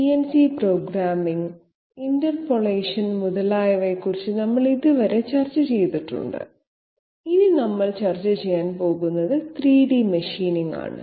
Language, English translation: Malayalam, Till now we have discussed about CNC programming, interpolation, etc, now this is 3 D machining